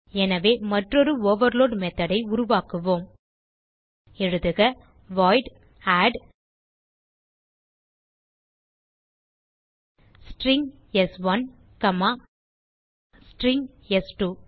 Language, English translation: Tamil, So we will create one more overload method type void add String s1 comma String s2